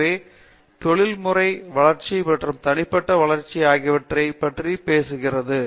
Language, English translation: Tamil, So, it talks about both professional growth and personal growth